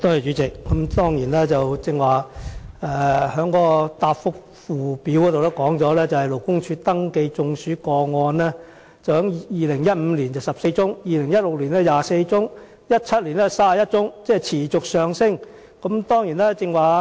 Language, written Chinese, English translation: Cantonese, 主席，根據主體答覆的附件，勞工處登記的中暑工傷個案在2015年有14宗 ，2016 年有24宗 ，2017 年有31宗，數字持續上升。, President according to the annex to the main reply the numbers of heat stroke related work injury cases registered at LD were 14 24 and 31 in 2015 2016 and 2017 respectively showing an increasing trend